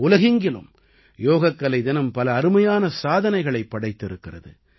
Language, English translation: Tamil, Yoga Day has attained many great achievements all over the world